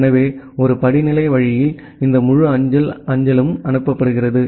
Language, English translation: Tamil, So, that way in a hierarchical way this entire postal mail is being forwarded